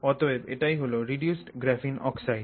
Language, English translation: Bengali, So, this is reduced graphene oxide